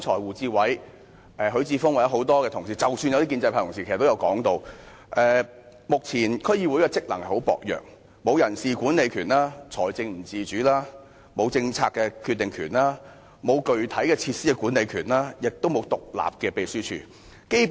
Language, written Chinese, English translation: Cantonese, 胡志偉議員、許智峯議員或其他議員，即使是部分建制派議員剛才也提到，目前區議會的職能十分薄弱，沒有人事管理權、財政不自主、沒有政策決定權、沒有具體的設施管理權，亦沒有獨立的秘書處。, As mentioned by Mr WU Chi - wai Mr HUI Chi - fung or other Members or even some pro - establishment Members earlier on the current functions of DCs are very weak in that they have no powers in personnel management no financial autonomy no policy - making powers no specific powers in management of facilities and no independent secretariat